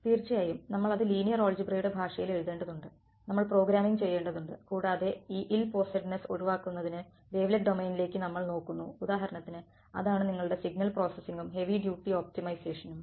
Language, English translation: Malayalam, We of course, had to write it in the language of linear algebra we had to do programming and to get that ill posedness out of the way we looked at the wavelet domain for example, that is your signal processing and heavy duty optimization